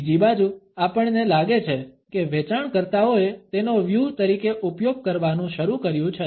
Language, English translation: Gujarati, On the other hand, we find that salespeople have started to use it as a strategy